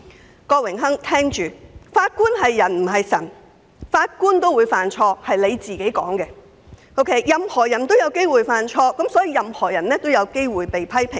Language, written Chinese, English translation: Cantonese, 我請郭榮鏗議員聽着，法官是人不是神，按他所說也會犯錯，既然任何人也有機會犯錯，所有人都有機會遭到批評。, Mr KWOK please listen Judges are no deities but humans and may err according to what he has said and since everyone may make mistakes they will possibly be criticized for committing mistakes